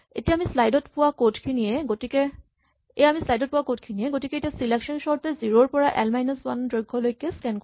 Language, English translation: Assamese, First, this is the same code that we had in the slide, so selection sort scan slices from 0 up to the length of l minus 1